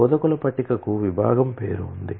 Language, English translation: Telugu, An instructor table has a department name